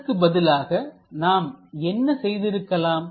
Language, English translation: Tamil, Instead of that, what we could have done